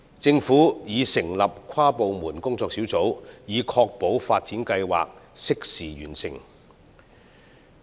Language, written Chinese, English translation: Cantonese, 政府已成立跨部門工作小組，以確保發展計劃適時完成。, The Government has formed an inter - departmental working group to ensure that the upgrading plan will be completed in a timely manner